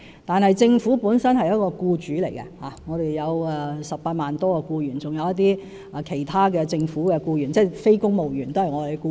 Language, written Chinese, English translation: Cantonese, 但政府本身是僱主，我們有18多萬名僱員，還有一些其他的政府僱員，即非公務員也是我們的僱員。, But the Government itself is an employer . We have some 180 000 employees as well as other government employees ie . non - civil service staff are also our employees